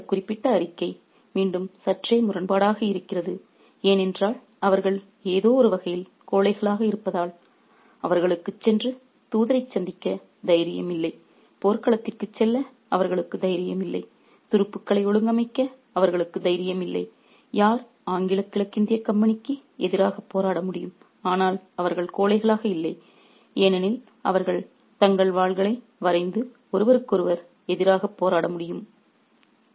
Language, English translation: Tamil, Again, this particular statement is slightly ironical again because they are cowards in some sense because they do not have the courage to go and meet the messenger, they do not have the courage to go to the battlefield, they do not have the courage to organize troops who could fight against the English East India Company, but they are also not cowards because they can draw their swords and fight against one another